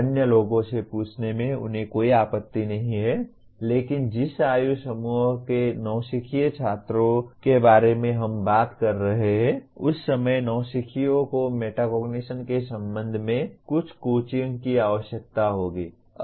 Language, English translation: Hindi, They do not mind asking other people but at the time of in the age group that we are talking about the novice students you can say, novices will require some coaching with respect to metacognition